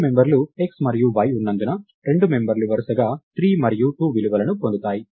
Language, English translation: Telugu, And since there are two members x and y, the two members will get the values 3 and 2 respectively